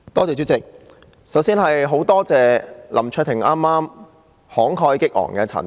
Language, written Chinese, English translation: Cantonese, 主席，首先非常感謝林卓廷議員剛才慷慨激昂的陳辭。, President first of all I would like to thank Mr LAM Cheuk - ting for his impassioned speech just now